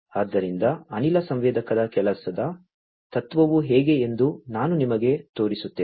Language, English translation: Kannada, So, I will show you how the working principle of a gas sensor is